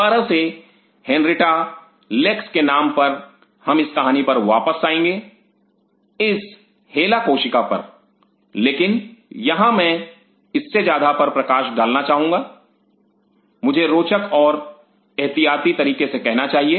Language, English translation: Hindi, Again, will after the name of henrietta lack we will come to this story of this hela cell, but here what I wish to highlight is something much more I should say interesting and precautionary